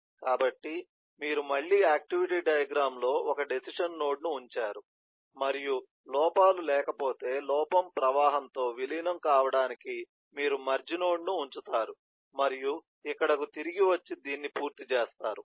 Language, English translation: Telugu, so you put a decision node again in the activity diagram and if there are no errors, then you put a merge node to merge with a error flow and come back here and complete this